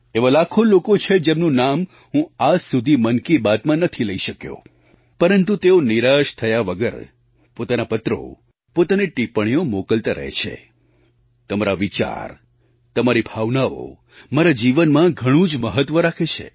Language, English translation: Gujarati, There are lakhs of persons whose names I have not been able to include in Mann Ki Baat but without any disappointment,they continue to sendin their letters and comments